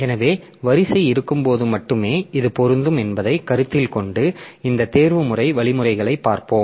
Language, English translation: Tamil, So, we will be looking into the optimization algorithms keeping in view that this is applicable only when a queue is existing